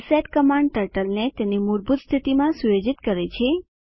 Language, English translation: Gujarati, reset command sets the Turtle to default position